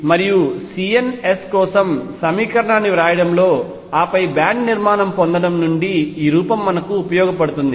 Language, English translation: Telugu, And this form is useful in writing the equation for the c ns and then from that getting the band structure